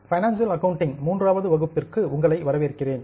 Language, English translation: Tamil, Welcome to the third session of financial accounting